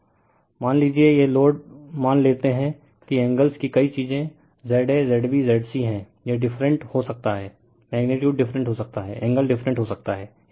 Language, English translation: Hindi, Suppose, this load suppose is the angles are many thing Z a, Z b, Z c, it may be different right, magnitude may be different, angle may be different